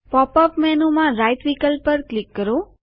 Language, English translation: Gujarati, In the pop up menu, click on the Right option